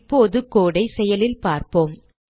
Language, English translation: Tamil, Now let us see the code in action